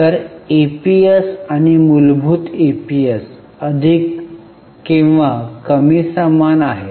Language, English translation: Marathi, So, diluted EPS and basic EPS is more or less same